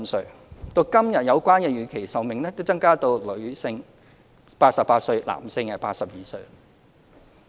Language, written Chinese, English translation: Cantonese, 時至今日，有關預期壽命已增加至女性88歲，男性82歲。, To date the life expectancy at birth has increased to 88 for female and 82 for male